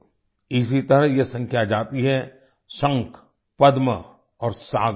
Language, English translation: Hindi, Similarly this number goes up to the shankh, padma and saagar